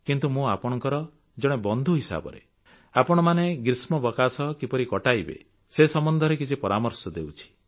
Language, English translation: Odia, But as a friend, I want to suggest you certain tips about of how to utilize your vacation